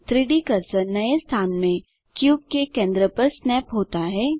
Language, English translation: Hindi, The 3D cursor snaps to the centre of the cube in the new location